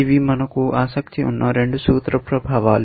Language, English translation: Telugu, These are the two principle effects we are interested in